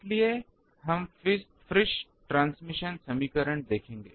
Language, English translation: Hindi, So, we will see that the, was Friis transmission equation